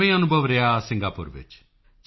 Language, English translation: Punjabi, How was your experience in Singapore